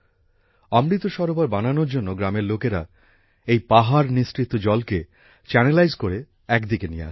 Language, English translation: Bengali, To make the Amrit Sarovar, the people of the village channelized all the water and brought it aside